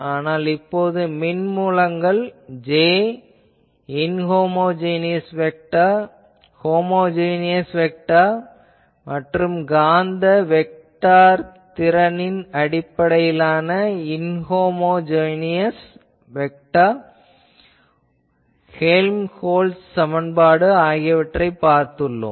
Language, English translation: Tamil, Now, for electric sources J, we have seen that the inhomogeneous vector homogeneous you know inhomogeneous vector Helmholtz equation in terms of magnetic vector potential, we have seen now